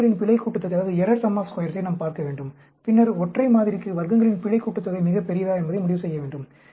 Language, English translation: Tamil, We have to look at the error sum of squares and then make a conclusion, whether the error sum of squares is very large for one model